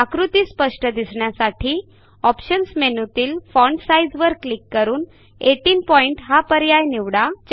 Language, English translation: Marathi, Click on the options menu click on font size and then on 18 point to make the figure clear